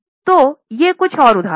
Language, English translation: Hindi, So, these are a few of the examples